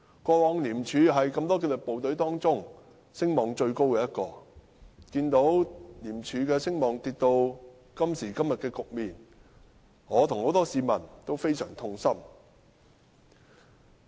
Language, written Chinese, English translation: Cantonese, 過往廉署是多個紀律部隊當中聲望最高的，看到廉署的聲望跌至今時今日的局面，我與很多市民都非常痛心。, ICAC used to be most highly reputed among all disciplined forces . That ICACs reputation has come to such a sorry state today is heart - rending to many members of the public and myself